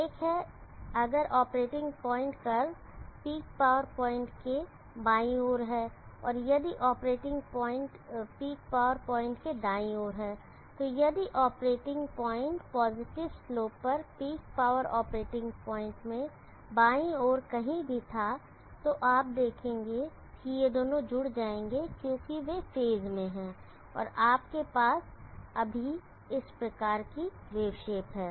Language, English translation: Hindi, So therefore, we can see that we have two regions one is if the operating point is on the left side of the power curve peak power point and the operating point is on the right side of the peak power point, so if operating point had been any were in the left side of the peak power operating point on the positive slope you will see that these two will add up because they are in phase and you have still this kind of a wave shape